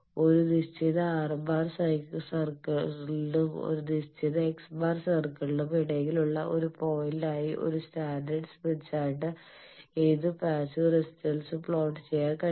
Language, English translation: Malayalam, Any passive impedance can be plotted on a standard smith chart as a point of intersection between one R Fixed R circle and one fixed X circle